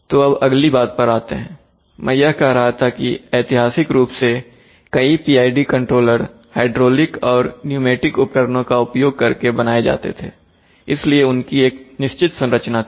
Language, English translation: Hindi, So coming to the next one, now as I was telling that PID controllers were, historically many of them were made if, using hydraulic and pneumatic devices, so they used to have you know certain realization structures